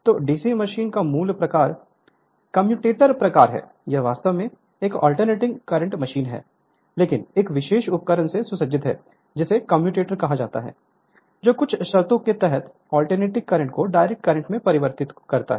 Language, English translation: Hindi, So, basic type of DC machine is that of commutator type, this is actually an your alternating current machine, but furnished with a special device that is called commutator which under certain conditions converts alternating current into direct current right